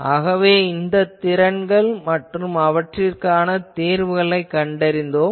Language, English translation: Tamil, So, we have seen these potentials their solutions